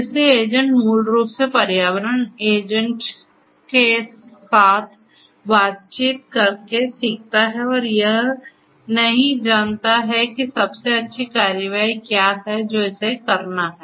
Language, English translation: Hindi, So, agent basically learns by interacting with the environment agent does not know that what is best action that it has to take